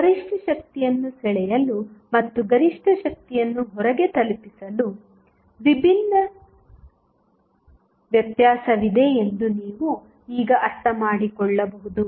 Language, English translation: Kannada, So, you can now understand that there is a distinct difference between drawing maximum power and delivering maximum power to the load